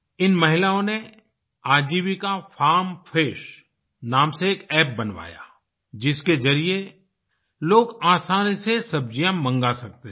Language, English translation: Hindi, These women got an app 'Ajivika Farm Fresh' designed through which people could directly order vegetables to be delivered at their homes